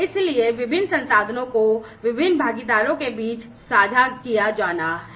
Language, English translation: Hindi, So, the different resources have to be shared across the different partners